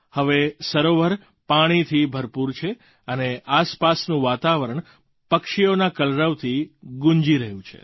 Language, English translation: Gujarati, The lake now is brimming with water; the surroundings wake up to the melody of the chirping of birds